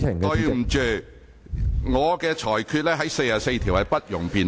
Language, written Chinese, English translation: Cantonese, 根據《議事規則》第44條，我的裁決不容辯論。, In accordance with Rule 44 of the Rules of Procedure my ruling is not subject to debate